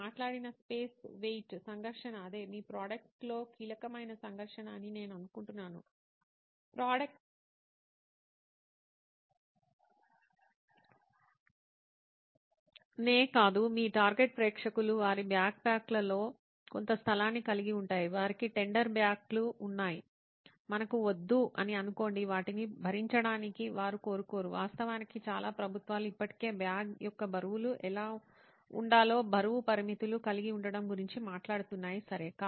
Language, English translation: Telugu, So is the space weight conflict that you talked about I think that is the key conflict in your product, not product itself, your target audience is that they have a certain space in their backpacks, they have tender backs let us say we do not want to overburden them, they do not want the, in fact lots of governments are already talking about having weight restrictions on what the weights of the bag should be, okay